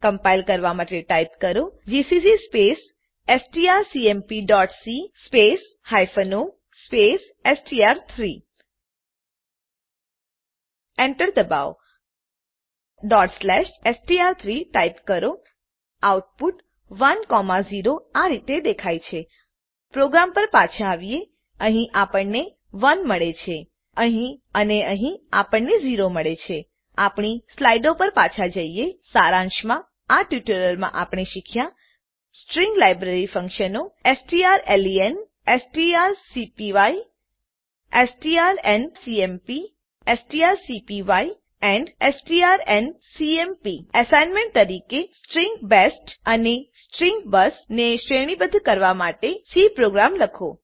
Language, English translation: Gujarati, To compile type gcc space strcmp.c space hyphen o space str3 Press Enter Type ./str3 The outpur is displayed as 1,0 Come back to our program Here we get 1 and here we get as 0 Let us come back to our slides Let us summarize, In this tutorial we learned, String library functions strlen() strcpy() strcmp() strncpy() and strncmp() As an assignemnt, Write a C Program to concatenate String best and String bus